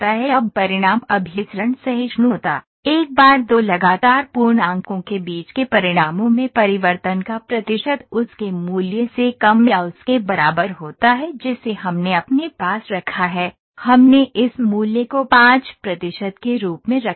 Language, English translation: Hindi, Now results convergence tolerance; once the percentage of change in the results between the two consecutive integers are less than or equal to its value to the specific value that we have put in we have put this value as 5 percent